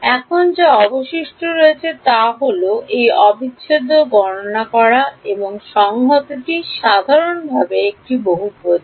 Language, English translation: Bengali, Now, what remains is to calculate this integral and the integrand is a polynomial in general